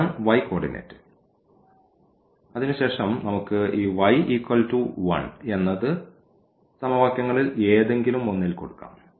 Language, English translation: Malayalam, So, that is the coordinate of y and then we can put in any of these equations to get for example, x is equal to 1 plus y ; that means, 2